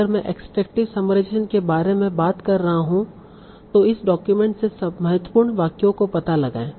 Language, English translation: Hindi, So if I am talking about extractive summarization, find out important sentences from this document